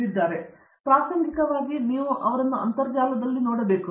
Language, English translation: Kannada, And incidentally you should also look him up on the internet